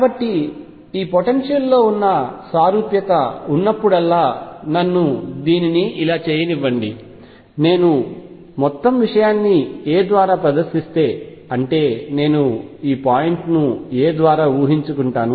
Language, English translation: Telugu, So, whenever there is a symmetry in this potential let me make it like this the symmetry is that if I displays the whole thing by a; that means, I shift suppose this point by a